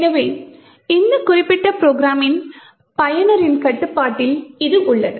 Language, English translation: Tamil, So, it is in control of the user of this particular program